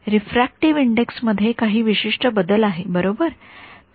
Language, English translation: Marathi, There is certain change in refractive index right